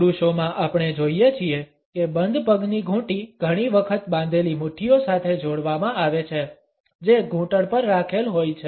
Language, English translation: Gujarati, Amongst men we find that the ankle lock is often combined with clenched fists; which are resting on the knees